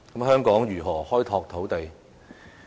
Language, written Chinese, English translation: Cantonese, 香港應如何開拓土呢地？, How should Hong Kong develop lands?